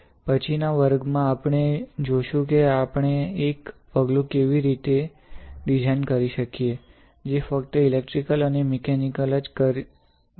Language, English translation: Gujarati, In the next class, we will see how can we design one step, which can also, which can not only do electrical and mechanical